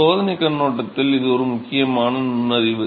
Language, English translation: Tamil, So, this is an important piece of insight from experimental point of view